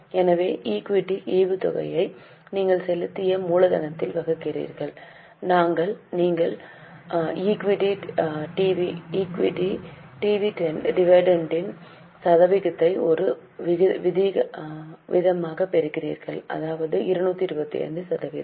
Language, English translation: Tamil, So, equity dividend you divide it by paid up capital, we will get the percentage of equity dividend as a rate